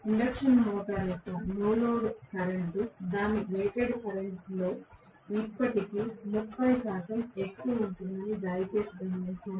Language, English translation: Telugu, Please note the no load current of induction motor will be still as high as 30 percent of its rated current